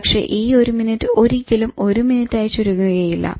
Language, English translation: Malayalam, The one minute never remains one minute